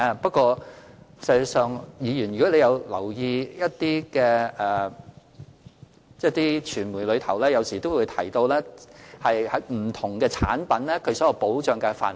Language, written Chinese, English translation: Cantonese, 不過，如議員有留意一些傳媒的報道，有時亦會提到不同保險產品的保障範圍。, But if Members have paid attention to media reports they might have learnt about the coverage of various insurance products